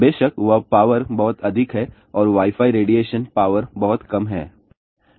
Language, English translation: Hindi, Of course, that power is very high and Wi Fi radiation power is much smaller